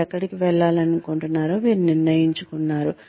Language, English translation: Telugu, You decided, where you want to go